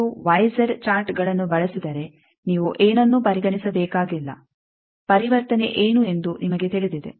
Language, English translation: Kannada, If you use Y Z charts then you need not consider anything you know that what is the conversion